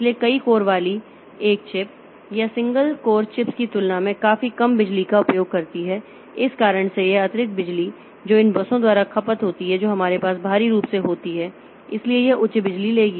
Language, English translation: Hindi, So, one chip with multiple codes it uses significantly less power than multiple single code chips because of the reason that this extra power that is consumed by this buses that we have externally so that will be taking the power high